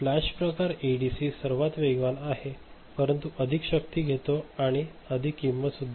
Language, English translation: Marathi, Flash type ADC is fastest, but takes more power and costs more